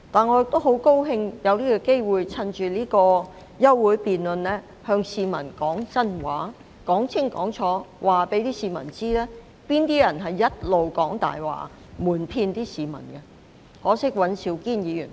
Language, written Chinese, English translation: Cantonese, 我也十分高興有機會，藉着今次的休會辯論，向市民說真話，清清楚楚告訴市民，是哪些人一直在講大話、瞞騙市民——可惜尹兆堅議員不在席。, I am also most grateful for the opportunity presented by this adjournment motion through which I can tell the public the truth pointing out to them loud and clear as to who has been lying and deceiving them all along―unfortunately Mr Andrew WAN is not present